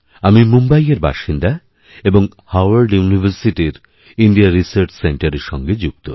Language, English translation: Bengali, I am a resident of Mumbai and work for the India Research Centre of Harvard University